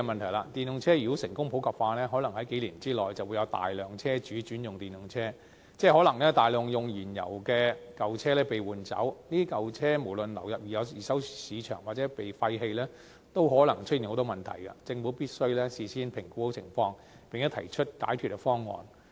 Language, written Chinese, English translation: Cantonese, 如果電動車成功普及化，可能在數年內會有大量車主轉用電動車，即可能有大量使用燃油的舊車被換走，這些舊車無論流入二手市場或被廢棄，也可能出現很多問題，政府必須事先評估情況，並先行提出解決方案。, If EVs are successfully popularized a large number of vehicle owners may switch to use EVs within a few years ie . a large amount of old fuel - consuming vehicles will be replaced . No matter these vehicles will be diverted to the second hand market or be abandoned a lot of problems may arise